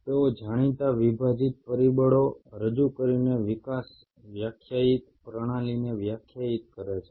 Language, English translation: Gujarati, They define the developed the defined system by introducing known dividing factors, all the known dividing factors